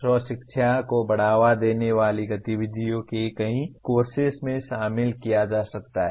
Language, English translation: Hindi, Activities that promote self learning can be incorporated in several core courses